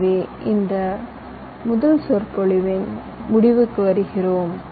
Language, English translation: Tamil, so with this we come to the end of this first lecture